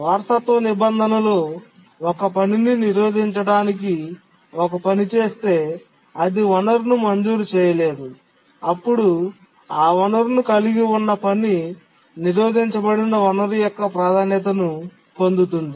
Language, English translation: Telugu, If a task is made to block, it's not granted the resource, then the task holding that resource inherits the priority of the blocked resource